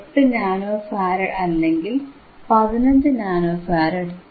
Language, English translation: Malayalam, 8 nano farad or 15 nano farad